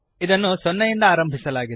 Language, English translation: Kannada, It is initialized to 0